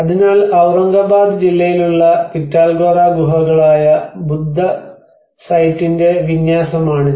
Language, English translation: Malayalam, \ \ \ So, this is the layout of a Buddhist site which is a Pitalkhora caves which is in the district of Aurangabad